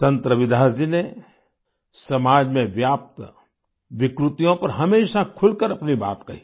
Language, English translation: Hindi, Sant Ravidas ji always expressed himself openly on the social ills that had pervaded society